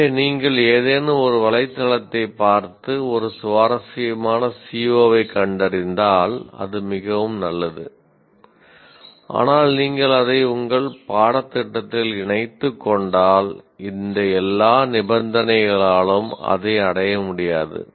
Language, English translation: Tamil, So what can happen is if you just look at some internet, some website and find an interesting CVO which is very good, but if you just incorporate it into your course, it may not be attainable because of all these conditions